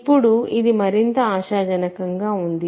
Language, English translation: Telugu, Now, this looks more promising, right